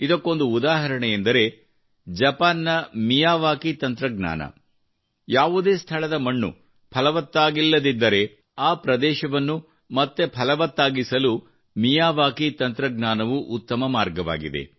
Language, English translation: Kannada, An example of this is Japan's technique Miyawaki; if the soil at some place has not been fertile, then the Miyawaki technique is a very good way to make that area green again